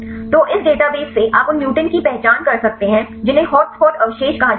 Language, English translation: Hindi, So, from this database you can identify the mutants which are termed as hotspot residues